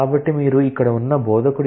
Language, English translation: Telugu, So, you make the instructor